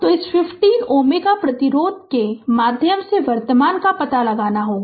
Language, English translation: Hindi, So, we have to current find out the current through this 50 ohm resistance